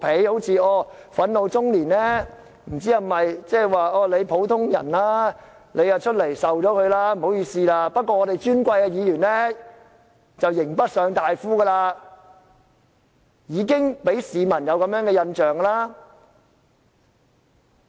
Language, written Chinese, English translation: Cantonese, 不知是否因為憤怒中年是普通人就要承受後果，不好意思了，但尊貴的議員就"刑不上大夫"，已經讓市民有這樣的印象。, Does it mean the frustrated middle - age woman has to bear the consequences of her insulting remarks because she is just an ordinary citizen? . How about the Honourable Members? . I am sorry but Members will be immune from prosecution just as scholar - officials should be immune from penalty